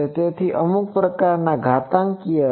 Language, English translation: Gujarati, So, some sort of exponential